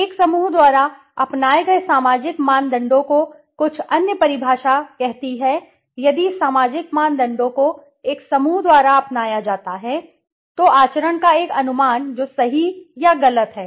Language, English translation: Hindi, Societal norms adopted by a group it some other definition says if societal norms adopted by a group, so a conception of conduct that is right or wrong